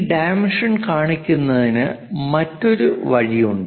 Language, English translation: Malayalam, There is other way of showing these dimension